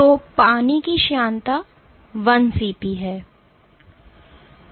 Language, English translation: Hindi, So, viscosity of water is 1 cP